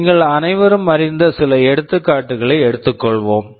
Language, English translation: Tamil, Let us take some examples that you all know about